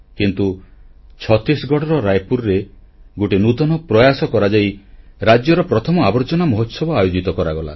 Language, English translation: Odia, But in a unique endeavor in Raipur, Chhattisgarh, the state's first 'Trash Mahotsav' was organized